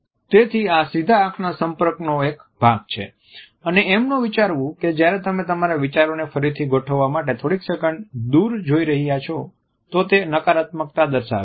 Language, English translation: Gujarati, So, this is a part of the direct eye contact and it should not be thought that even while you are looking away for a couple of seconds in order to reorganize your ideas, it is something negative